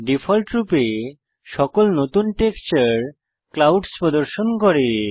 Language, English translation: Bengali, By default, every new texture displays the clouds texture